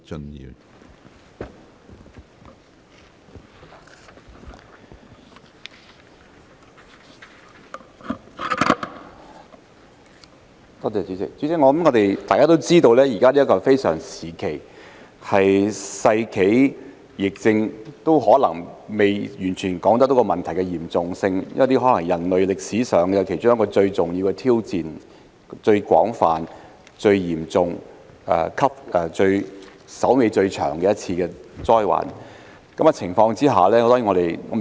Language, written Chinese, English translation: Cantonese, 主席，大家都知道現在是一個非常時期，說是世紀疫症也未能完全反映問題的嚴重性，這可能是人類歷史上其中一個最重大的挑戰，是最廣泛、最嚴重、最麻煩的一次災患。, President we all know that this is an extraordinary time . It cannot fully reflect the seriousness of the problem by calling it the epidemic of the century which is probably one of the greatest challenges in the history of mankind and the most extensive severe and troublesome disaster